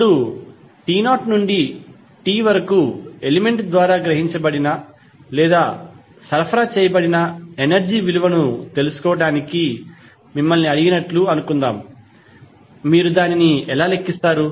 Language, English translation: Telugu, Now, suppose you are asked to find out the value of energy absorbed or supplied by some element from time t not to t how you will calculate